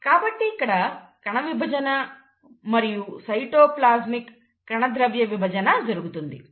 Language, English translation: Telugu, So you have nuclear division, you have cytoplasmic division